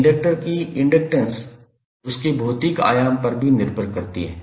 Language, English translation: Hindi, Inductance of inductor depends upon the physical dimension also